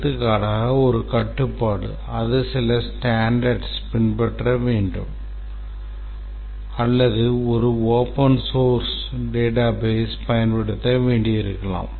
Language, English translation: Tamil, For example, one constraint may be that it has to follow certain standards or maybe that it has to use a open source database